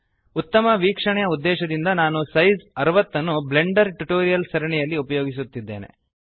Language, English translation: Kannada, I am using size 60 for better viewing purposes in the Blender Tutorials series